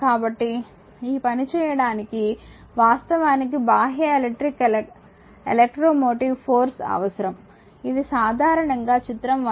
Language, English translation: Telugu, So, this work actually is done by external electric electro motive force emf, typically represented by the battery as shown in figure 1